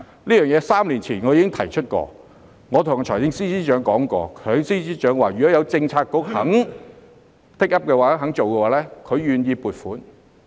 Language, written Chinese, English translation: Cantonese, 我3年前已經提出有關建議，亦曾向財政司司長提過，他表示如果有政策局肯 take up、肯做的話，他願意撥款。, I put forward a relevant proposal three years ago and mentioned it FS as well . He said that if any Policy Bureau agreed to take up the work he would allocate funds for it